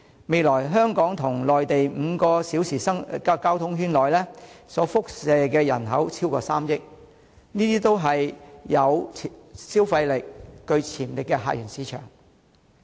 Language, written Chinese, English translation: Cantonese, 未來，香港與內地5小時交通圈所輻射的人口超過3億，這些也是有消費力、具潛力的客源市場。, In future a population of over 300 million covered by the five - hour traffic circle between Hong Kong and the Mainland will be a visitor source market with spending power and potentials